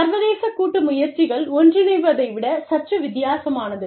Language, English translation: Tamil, International joint ventures is slightly different than, mergers